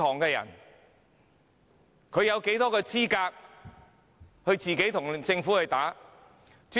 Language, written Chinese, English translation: Cantonese, 試問他們有多少資格可與政府對打？, Are they in the position to engage in direct confrontation with the Government?